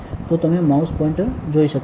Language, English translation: Gujarati, So, you can see the mouse pointer